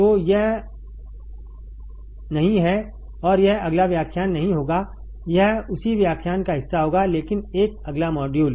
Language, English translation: Hindi, So, this is not and this will not be next lecture it will be part of the same lecture, but a next module